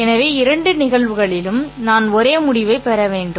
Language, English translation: Tamil, So I should get the same result in both cases